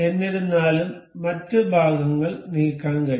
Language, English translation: Malayalam, However the other parts can be moved